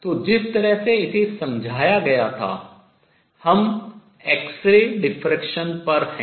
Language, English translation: Hindi, So, the way it was explained we are on x ray diffraction